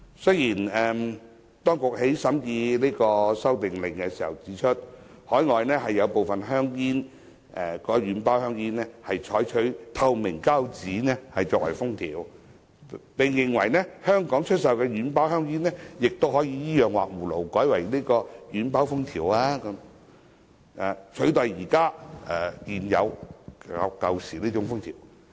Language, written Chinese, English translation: Cantonese, 雖然，當局在審議《修訂令》時指出，海外有部分軟包香煙採用透明膠紙作為封條，並認為香港出售的軟包香煙都可以依樣畫葫蘆改用透明膠紙封條，取代現時的舊式封條。, During the scrutiny of the Amendment Order the Administration has pointed out that as transparent seals are used on soft pack cigarettes in other countries soft pack cigarettes sold in Hong Kong can borrow their example and replace the old seals with transparent seals